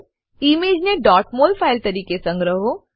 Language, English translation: Gujarati, * Save the image as .mol file